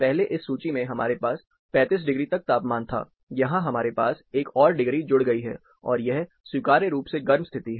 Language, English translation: Hindi, The earlier table, we had up to 35 degrees, here we have another degree added up, and this is acceptably warm condition